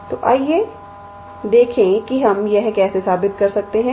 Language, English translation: Hindi, So, let us see how we can prove this